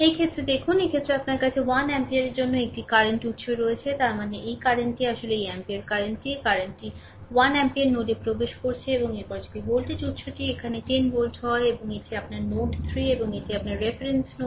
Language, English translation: Bengali, Look, in this case, in this case, you have one current source here for 1 ampere; that means, this current actually this current is one ampere this current is 1 ampere entering into the node, right and next if voltage source is there here 10 volt and this is your node 3 and this is your reference node